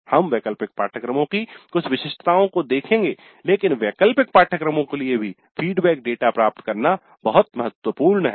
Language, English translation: Hindi, We will see some of the peculiarities of elective courses but it is very important to get the feedback data even for elective courses